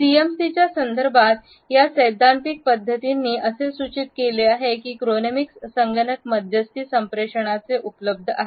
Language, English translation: Marathi, These theoretical approaches in the context of CMC have suggested that chronemics is available even in computer mediated communication